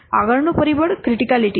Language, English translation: Gujarati, Next factor is criticality